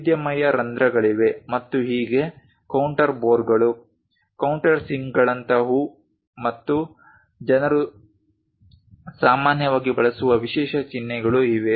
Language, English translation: Kannada, There are variety of holes and so on so, things like counter bores countersinks and so on there are special symbols people usually use it